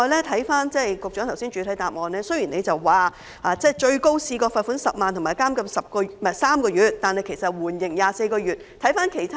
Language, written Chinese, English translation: Cantonese, 雖然局長在主體答覆中提到最高可判處罰款10萬元及監禁6個月，但大多數被告人被判處緩刑24個月。, Although the Secretary mentioned in the main reply that the offence was liable to a maximum fine of 100,000 and imprisonment for six months most defendants were sentenced to suspended sentence of 24 months imprisonment